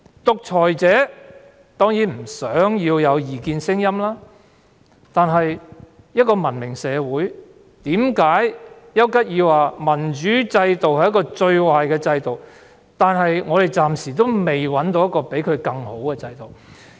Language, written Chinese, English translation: Cantonese, 獨裁者當然不想有異見聲音，但一個文明社會......為何邱吉爾說民主制度是個最壞的制度，但我們暫時找不到比它更好的制度呢？, Dictators certainly do not want any dissenting voices but a civilized society Why did Winston CHURCHILL say that democracy was the worst system but we could not find a better system for the time being?